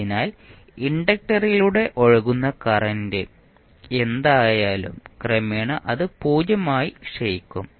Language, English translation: Malayalam, So, whatever is there the current which is flowing through the inductor will eventually decay out to 0